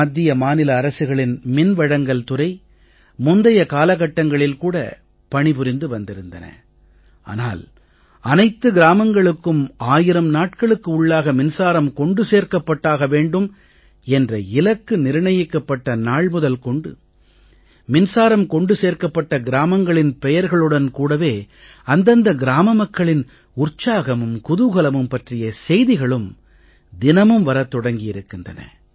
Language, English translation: Tamil, The power department of the state and Indian government were functional earlier as well but from the day 1000 day target to provide electricity to every village has been set, we get news everyday that power supply is available in some or the other village and the happiness of the inhabitants' knows no bounds